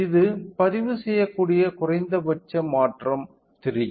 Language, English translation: Tamil, The minimum change that it can record is of 3 0